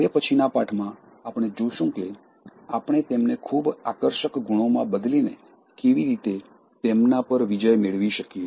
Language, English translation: Gujarati, In the next lesson, we will see how we can overcome them by replacing them in the most attractive qualities